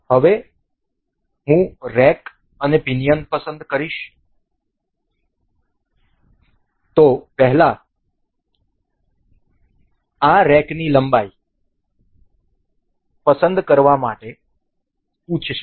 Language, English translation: Gujarati, Now, I will select rack and pinion so, first this asks for this to select the rack length